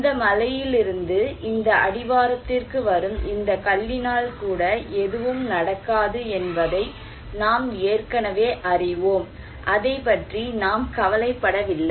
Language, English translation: Tamil, But we already know that even this stone coming from this mountain to these foothills, nothing will happen and we are not worried about it